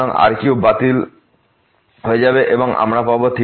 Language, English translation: Bengali, So, this here square will get canceled, we will get cube